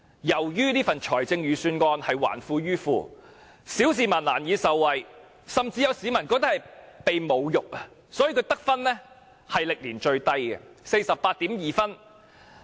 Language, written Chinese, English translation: Cantonese, 由於這份預算案還富於富，小市民難以受惠，甚至有市民感覺被侮辱，所以預算案的得分歷年最低，是 48.2 分。, Since the Budget returns wealth to the rich ordinary people can hardly get any benefit . Some members of the public even feel insulted . Thus the Budget scores a record low of 48.2 points